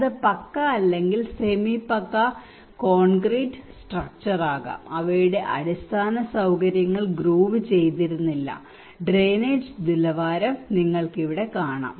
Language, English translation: Malayalam, And it could be pucca or semi pucca concrete structure, their infrastructures were not grooved, you can see the drainage quality here